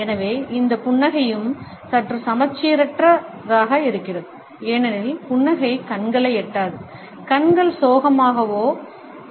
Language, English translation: Tamil, So, this smile is also slightly asymmetric one, because the smile does not reach the eyes, the eyes remain sad